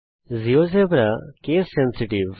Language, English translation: Bengali, Geogebra is case sensitive